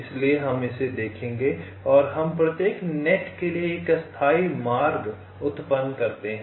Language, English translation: Hindi, so we shall be looking at this and we generate a tentative route for each net